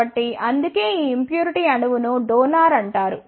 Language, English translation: Telugu, So, that is why this impurity atom is called as donor